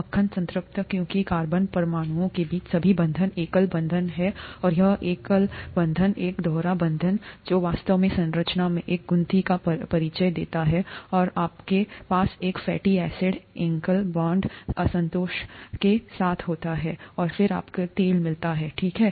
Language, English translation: Hindi, Butter, saturated because all the bonds between carbon atoms are single bonds, and here one bond is a double bond, which actually introduces a kink in the structure and you have a fatty acid with one, one bond unsaturation, and then you get oil, okay